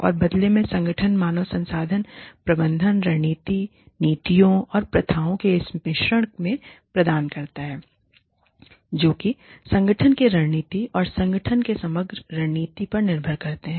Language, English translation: Hindi, And, that in turn, feeds into this mix of, human resource management strategy, policies and practices, which are dependent on, and feed into the strategy of the organization, the overall strategy of the organization